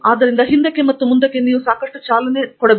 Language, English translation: Kannada, So, there is lot of back and forth